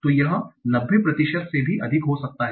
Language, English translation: Hindi, So it can be even more than 90 percent